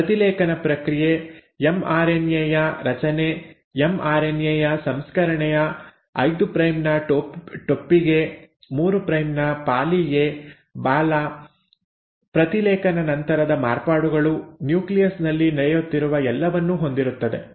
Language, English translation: Kannada, The process of transcription, formation of mRNA processing of mRNA, 5 prime capping, 3 prime poly A tail, post transcriptional modifications, all that is happening in the nucleus